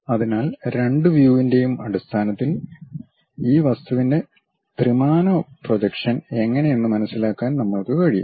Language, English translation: Malayalam, So, based on both the views only, we will be in a position to understand how the three dimensional projection of this object